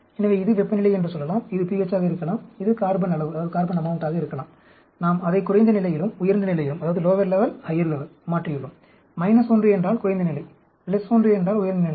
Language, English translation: Tamil, So, this could be, say temperature, this could be pH, this could be carbon amount; we have changed it at lower level, higher level; minus 1 means lower level; plus 1 means higher level